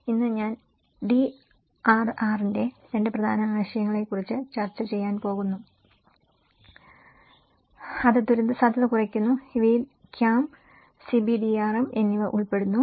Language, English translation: Malayalam, Today, I am going to discuss about 2 important concepts of DRR which is disaster risk reduction and these 2 includes CAM and CBDRM